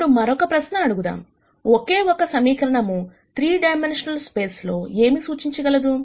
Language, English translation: Telugu, Now, we ask the question as to what a single equation would represent in a 3 dimensional space